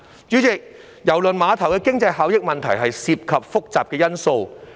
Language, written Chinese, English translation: Cantonese, 主席，郵輪碼頭的經濟效益問題涉及複雜的因素。, President the issue of the economic benefits of the cruise terminal involves complicated factors